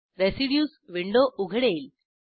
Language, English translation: Marathi, Residues window opens